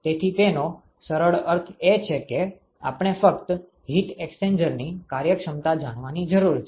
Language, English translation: Gujarati, So, what it simply means is that we need to know only the efficiency of the heat exchanger